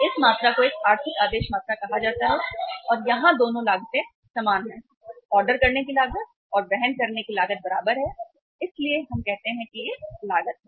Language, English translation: Hindi, This quantity is called as a economic order quantity and here both the costs are equal, the ordering cost and the carrying cost are equal so this we say that this is the uh cost